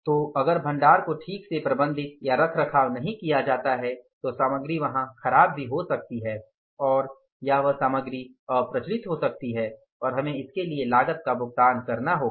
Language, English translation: Hindi, So, store if it is not properly managed or maintained then the material can get spoiled there also and or that material can become obsolete and we will have to pay the cost for that